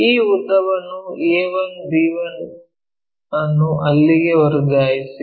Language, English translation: Kannada, Transfer this length a 1 b 1, a 1 b 1 there